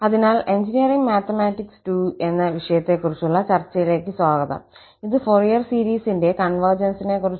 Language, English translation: Malayalam, So, welcome back to lectures on Engineering Mathematics II and this is lecture number 35 on Convergence of Fourier series